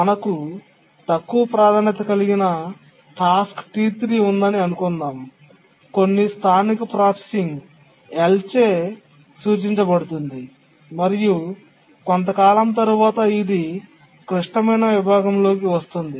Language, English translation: Telugu, We have a task T3 which is of low priority, does some local processing denoted by L and then after some time it gets into the critical section